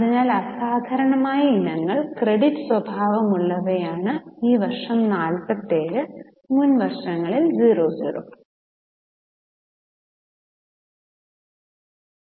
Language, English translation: Malayalam, So, exceptional items are of credit nature, 47 in the current year, 0 in the earlier years